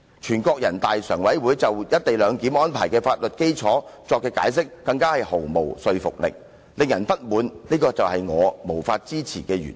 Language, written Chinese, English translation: Cantonese, 至於人大常委會就"一地兩檢"安排的法律基礎所作的解釋，更是毫無說服力，令人非常不滿，這是我無法支持的原因。, As for the explanation of the Standing Committee of the National Peoples Congress NPCSC for the legal basis for the co - location arrangement it is simply unconvincing and extremely unsatisfactory . For this reason I cannot support the arrangement